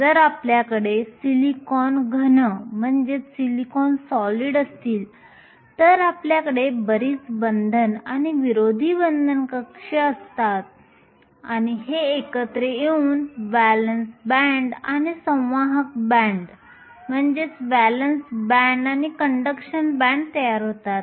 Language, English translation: Marathi, If you had a silicon solid you had a lot of these bonding and anti bonding orbitals and these came together to form the valence band and the conduction band